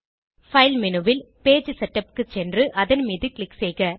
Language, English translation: Tamil, Go to File menu, navigate to Page Setup and click on it